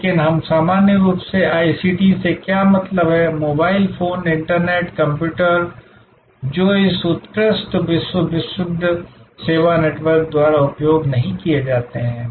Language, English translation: Hindi, But, what we normally mean by ICT, the mobile phones, the internet, the computers, those are not used by this excellent world famous service network